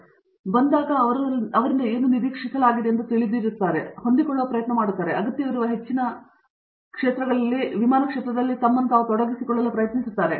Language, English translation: Kannada, So, when they come in they know what is expected and therefore, they try to adapt, they try to pitch at themselves at a higher plane that is required of them and so on